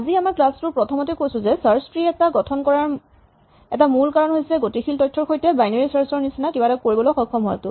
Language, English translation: Assamese, As we mentioned that the beginning of this lecture, one of the main reasons to construct a search tree is to be able to do something like binary search and this is with dynamic data